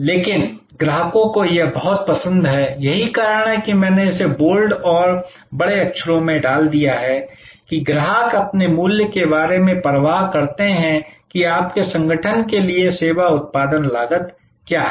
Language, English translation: Hindi, But customers this is veryÖ that is why, I have put this in bold and in bigger letters that customers care about value to themselves not what the service production costs are to the firm to your organization